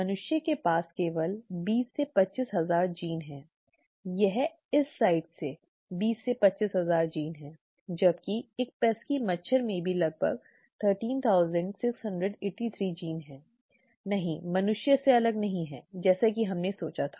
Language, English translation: Hindi, Humans had only 20 to 25 thousand genes, okay, that is from this site 20 to 25 thousand genes whereas even a pesky mosquito has about 13,683 genes, okay, not, not far apart from humans as we thought